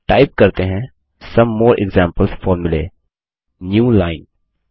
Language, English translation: Hindi, Let us type Some more example formulae: newline